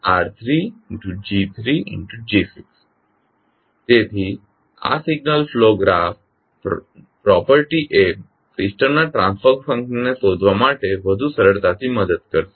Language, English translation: Gujarati, So this signal flow graph property will help in finding out the transfer function of the system more easily